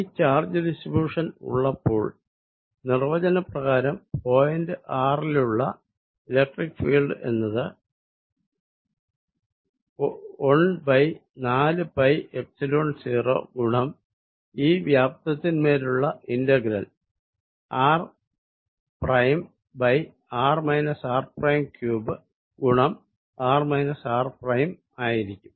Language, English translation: Malayalam, So, let us see, therefore given this distribution of charge the electric field by definition at point r is going to be 1 over 4 pi Epsilon 0, integration over this volume rho r prime over r minus r prime cubed times vector r minus r prime